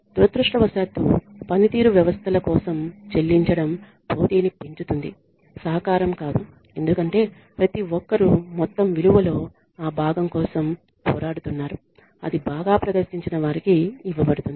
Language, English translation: Telugu, Unfortunately pay for performance systems increase competition not cooperation because everybody is fighting for that piece of the pie that is going to be given to high performers